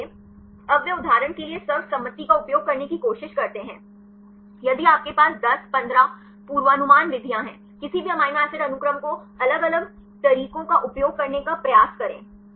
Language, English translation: Hindi, So, now they try to use the consensus for example, if you have 10, 15 prediction methods; take any amino acid sequence try to use different methods